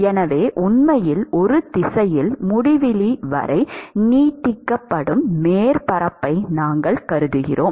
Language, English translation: Tamil, So, let us say we consider a surface which actually extends all the way up to infinity in one direction